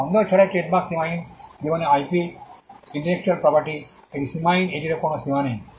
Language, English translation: Bengali, The trademark without doubt is an unlimited life IP intellectual property it is unlimited there is no limit to it